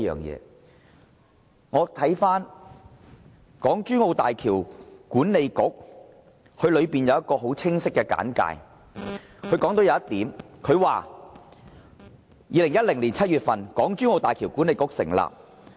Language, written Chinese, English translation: Cantonese, 讓我們看看港珠澳大橋管理局的一個很清晰的簡介，當中提及這一點 ："2010 年7月，港珠澳大橋管理局成立。, Let us look at a very clear introduction given by the HZMB Authority . It says In July 2010 the Hong Kong - Zhuhai - Macao Bridge Authority was established